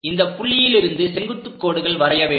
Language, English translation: Tamil, And from those points draw vertical lines perpendicular lines in that way